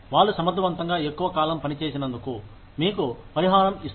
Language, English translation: Telugu, They will compensate you, for working efficiently, for longer periods of time